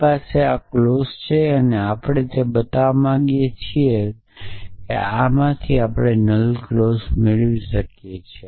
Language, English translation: Gujarati, So, we has this clauses and we want to what is it we want to show that can we derive the null clause from this